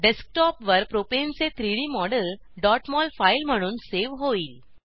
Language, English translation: Marathi, 3D model of Propane will be saved as .mol file on the Desktop